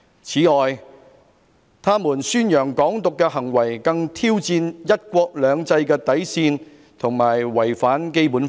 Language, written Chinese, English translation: Cantonese, 此外，他們宣揚'港獨'的行為更挑戰'一國兩制'的底線和違反《基本法》。, Moreover their advocacy for Hong Kong Independence challenged the bottom line of the One Country Two Systems and violated the Basic Law